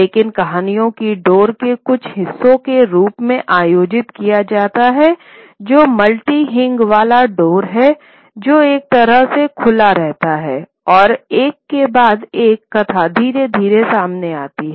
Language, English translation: Hindi, But the stories are organized as part parts of this, large sort of door which is a multi hinged door which sort of keeps on opening and one by one the narrative slowly unfolds